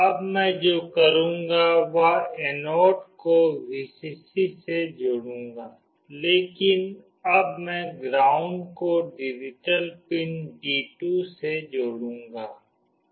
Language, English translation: Hindi, Now what I will do is that, I will connect the anode with Vcc, but now I will connect the ground with digital pin D2